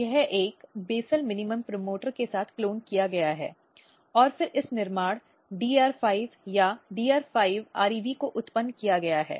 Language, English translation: Hindi, So, this has been cloned along with a basal minimum promoter and then this construct DR5 or DR5rev this has been generated